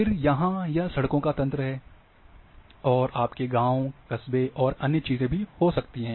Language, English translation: Hindi, Then you might be having locations of villages towns and other things